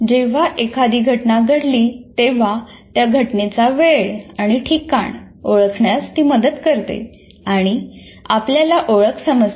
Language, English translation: Marathi, It helps us to identify the time and place when an event happened and gives us a sense of identity